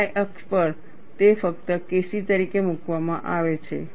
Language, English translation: Gujarati, On the y axis, it is just put as K c